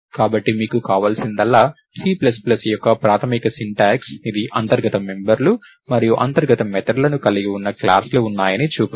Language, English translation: Telugu, So, all you need is the basic syntax of C plus plus which shows that there are classes which has internal members and internal methods